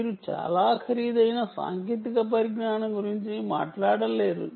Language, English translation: Telugu, yeah, you cant be talking of very expensive technologies either